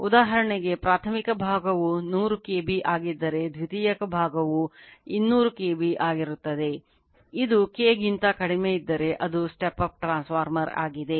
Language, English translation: Kannada, For example, primary side if it is 100 KB then secondary side it is 200 KB so, it is a step up transformer if K less than